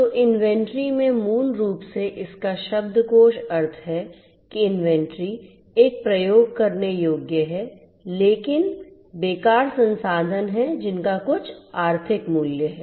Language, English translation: Hindi, So, in inventory basically the dictionary meaning of it is that inventory is a usable, but idle resource having some economic value